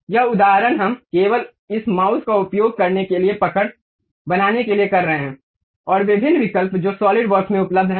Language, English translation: Hindi, These example we are doing it just to have a grip on using this mouse, and variety options whatever available at solid works